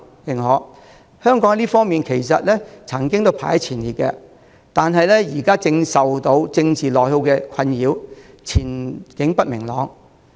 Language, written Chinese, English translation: Cantonese, 其實，香港在這幾方面也曾排名前列，但現正受政治內耗的困擾，前景不明朗。, In fact Hong Kong once ranked top in these aspects but being beset by political attrition it is now faced with an uncertain prospect